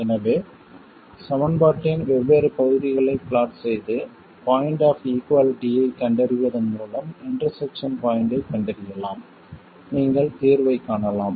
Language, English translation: Tamil, So, by plotting different parts of the equation and finding the point of equality, that is finding the point of intersection, you can find the solution